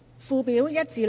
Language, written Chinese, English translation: Cantonese, 附表1至6。, Schedules 1 to 6